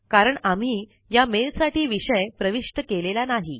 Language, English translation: Marathi, This is because we did not enter a Subject for this mail